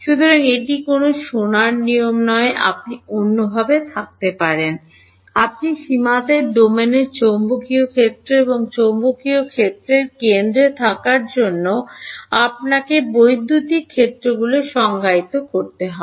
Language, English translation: Bengali, So, it is not a golden rule you can have it the other way, you can define you electric fields to be at the centre of the domain and magnetic fields on the boundary